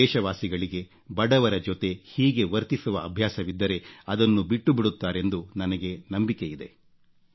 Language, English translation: Kannada, I am certain that my countrymen, if they are in the habit of behaving in this way with the poor will now stop doing so